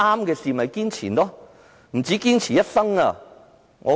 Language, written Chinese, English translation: Cantonese, 其實，應該不止堅持一生。, In fact we should persevere beyond this life